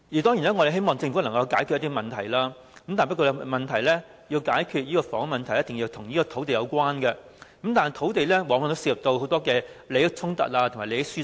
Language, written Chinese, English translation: Cantonese, 當然，我們希望政府能解決房屋問題，但要解決這問題，一定跟土地有關，而土地往往涉及利益衝突和利益輸送。, Of course we hope that the Government will resolve the housing problem . The key to the solution is definitely related to land . But when it comes to the issue of land it very often involves conflicts of interest and transfer of benefits